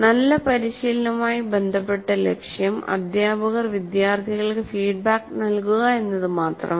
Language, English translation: Malayalam, Now, with respect to good practice, the goal is not merely to give feedback to teacher giving feedback to the students